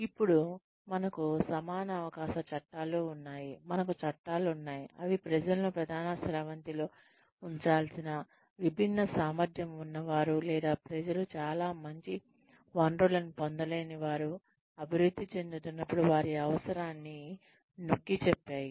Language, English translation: Telugu, Then, laws, we have equal opportunity laws,we laws, that emphasized the need to mainstream the people, who are differently abled or people, who do not have access to very good resources, while growing up